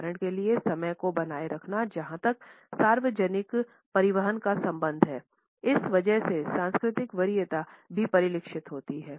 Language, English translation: Hindi, For example, keeping the time as far as the public transport is concerned is reflected because of this cultural preference also